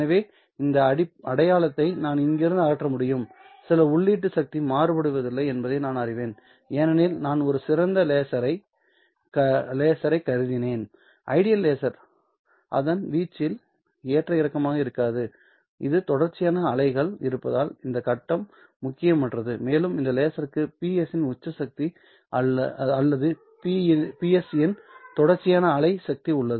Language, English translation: Tamil, So I can remove this sign from here, and I also know that the input power is not varying because I have assumed a ideal laser, ideal laser does not fluctuate in its amplitude and its face is immaterial since we are operating this in the continuous wave and this laser has a peak power of PS or the continuous wave power of PS